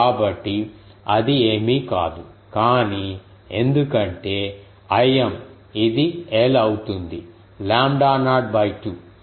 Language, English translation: Telugu, So, that is nothing, but I m because this will become a l is lambda naught by 2